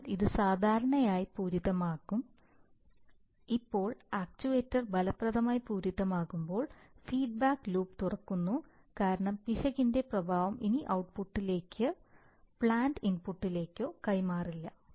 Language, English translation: Malayalam, So, that should as typically will saturated, now when the actuator saturates effectively the feedback loop is opened because the effect of the error no longer transmits to the output or rather the plant input so the input does not change, in response to the error but is held constant that is the case of an open loop operation, so your control is gone